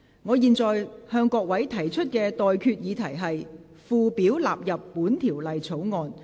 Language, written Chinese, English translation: Cantonese, 我現在向各位提出的待決議題是：附表納入本條例草案。, I now put the question to you and that is That the Schedule stand part of the Bill